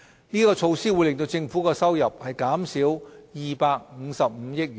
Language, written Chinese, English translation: Cantonese, 這措施會令政府的收入減少255億元。, This measure will reduce tax revenue by 25.5 billion